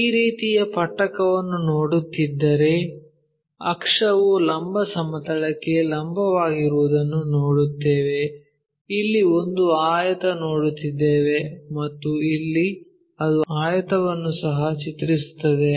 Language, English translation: Kannada, If we are looking at this kind of prism then everything the axis is perpendicular to vertical plane then what we will see is a rectangle here and here it also maps to rectangle